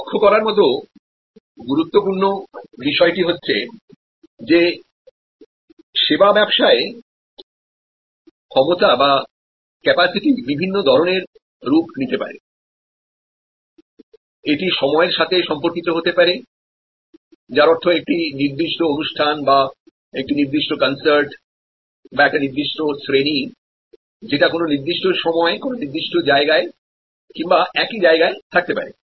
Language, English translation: Bengali, Important point to note that the capacity can take several forms in the service business, it could be in terms of time that means, a particular show or a particular concert, a particular class, so which is existing in a particular time frame at a particular space or in the same space